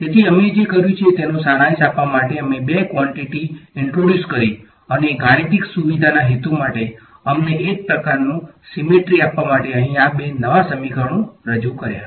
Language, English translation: Gujarati, So, sort of to summarize what we have done is we have introduced these two new quantities over here for the purpose of mathematical convenience and also to give us a sort of symmetric right